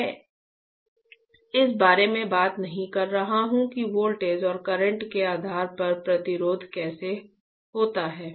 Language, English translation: Hindi, I am not talking about how the resistance is depending on voltage and current